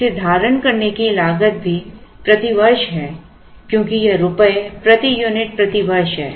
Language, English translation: Hindi, So, this is the cost of holding one unit rupees per unit per year